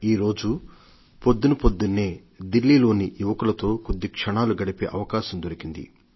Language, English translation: Telugu, Early this morning, I had an opportunity to spend some time with some young people from Delhi